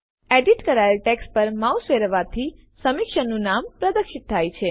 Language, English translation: Gujarati, Of course, hovering the mouse over the edited text will display the name of the reviewer